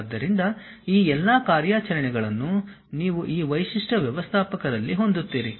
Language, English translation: Kannada, So, all these operations you will have it at these feature managers